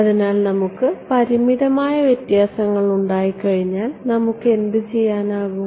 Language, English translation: Malayalam, So, once we had the finite differences what could we do